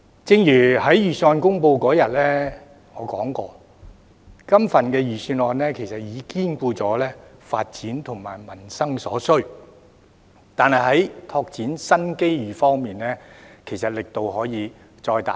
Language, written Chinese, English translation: Cantonese, 正如我在預算案公布當天說過，這份預算案其實已兼顧發展和民生所需，但在拓展新機遇方面，其實力度可以再加大一點。, As I said on the day of its release this Budget has in fact catered for the needs of both development and peoples livelihood but actually greater efforts can be made to expand new opportunities